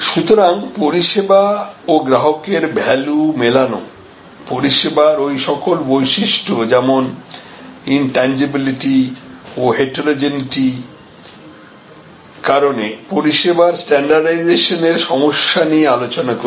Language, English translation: Bengali, So, service level and customer value matching, we have discussed the problems relating to standardizing service due to those characteristics of service like the intangibility and heterogeneity and so on